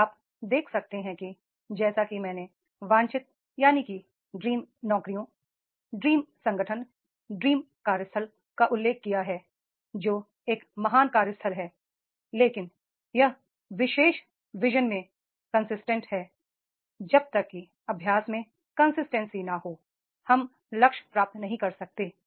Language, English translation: Hindi, Now you see that is the as I mentioned dream jobs, dream organization, dream workplace that is a great workplace but that particular vision is consistent unless and until there is no consistency in practicing, we cannot achieve the goal